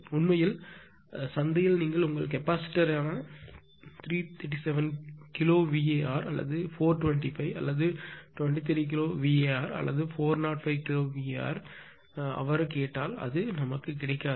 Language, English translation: Tamil, Actually in market if you ask for a give your capacitor of 337 kilowatt or 425 twenty 3 kilowatt or 405 kilowatt, it is not available